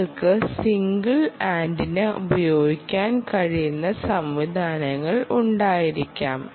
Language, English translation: Malayalam, you can have mechanisms where you can use single antenna or you can use multiple antenna